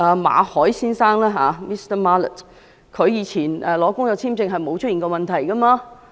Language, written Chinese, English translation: Cantonese, 馬凱先生以往申請工作簽證未曾出現問題。, Mr Victor MALLET has not encountered any problem when he applied for work visa in the past